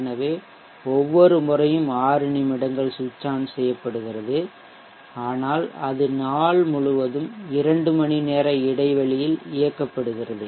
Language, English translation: Tamil, So 6minutes every time it is switched on but it is switched on at regular intervals of 2 hours throughout the entire day